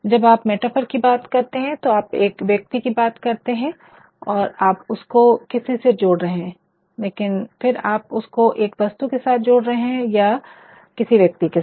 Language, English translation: Hindi, When you talk about metaphor you are actually referring to some person and you are associating it, but then you are associating it with an object or with some other person